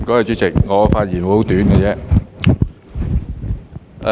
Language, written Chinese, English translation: Cantonese, 主席，我的發言會很短。, President I will just speak in brief